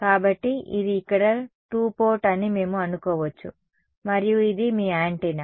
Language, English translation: Telugu, So, we can think of this is a two port over here and this is your antenna right